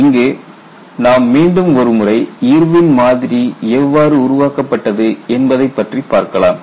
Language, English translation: Tamil, I think, we will go back and then see how the Irwin’s model was developed